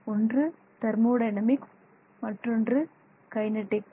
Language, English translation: Tamil, The first is the thermodynamics and the second is the kinetics